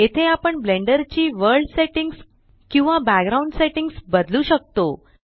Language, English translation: Marathi, Here we can change the world settings or background settings of Blender